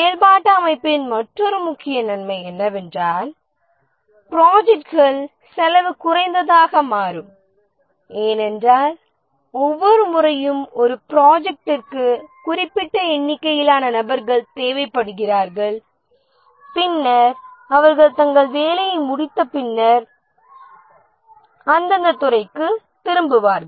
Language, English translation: Tamil, Another major advantage of the functional organization is that the projects become cost effective because each time a project needs certain number of persons gets them and then they return to the respective department after they complete their work